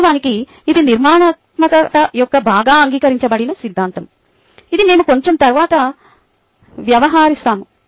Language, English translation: Telugu, and thats actually a very well ah accepted theory of constructivism, which we will deal with a little bit later